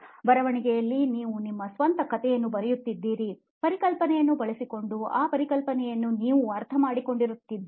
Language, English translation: Kannada, Whereas in writing you write your own story what that concept what did you understand using that concept